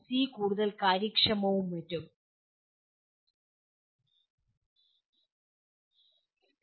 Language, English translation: Malayalam, C is more efficient and so on